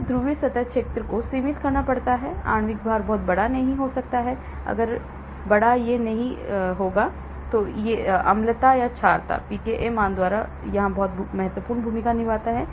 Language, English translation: Hindi, Polar surface area has to be limited, molecular weight cannot be very large, if large it will not go, acidity or basicity; the pKa value plays a very important role